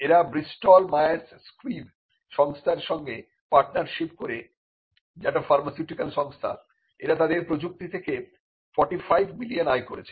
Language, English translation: Bengali, It partnered with Bristol Myers Squib which is pharmaceutical company and it earned revenues of around 45 million for their technology